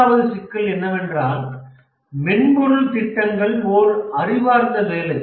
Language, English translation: Tamil, The third thing is that we have to, in software project management, we have to manage intellectual work